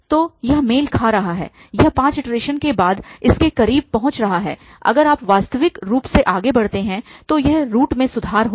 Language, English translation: Hindi, 20 something so it is matching it is getting closer to this after even five iterations, if you go further naturally this root will improve